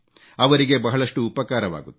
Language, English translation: Kannada, This will be a big help to them